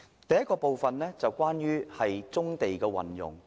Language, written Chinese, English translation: Cantonese, 第一是有關棕地的運用。, The first point is about the use of brownfield sites